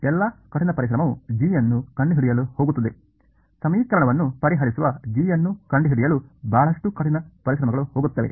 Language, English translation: Kannada, So, all the hard work goes into finding out g, a lot of hard work will go into finding out g that is solving equation 2